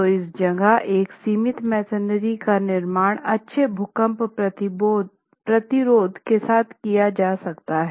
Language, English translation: Hindi, So, that is where confined masonry is positioned as a viable structural solution with good earthquake resistance